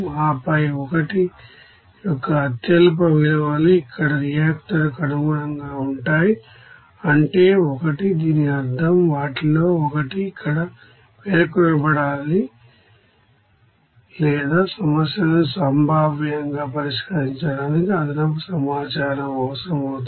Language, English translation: Telugu, And then lowest values of 1 corresponds to the reactor here, that is 1 and this means that the one of the unknowns should be specified here and or additional information to be needed for the problems to be you know potentially solved